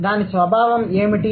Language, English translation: Telugu, What is the mechanism